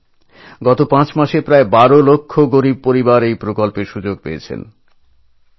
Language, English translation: Bengali, Brothers and Sisters, about 12 lakhimpoverished families have benefitted from this scheme over a period of last five months